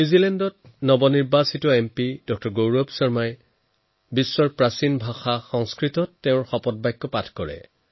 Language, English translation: Assamese, Gaurav Sharma took the Oath of office in one of the ancient languages of the world Sanskrit